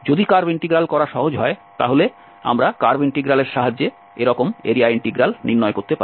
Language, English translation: Bengali, If curve integral is easier, we can find such area integral with the help of the curve integral